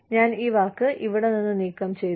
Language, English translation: Malayalam, I will remove this word, from here